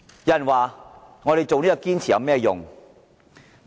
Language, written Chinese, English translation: Cantonese, 有人問我們堅持有何用？, Someone has asked me what the point of our perseverance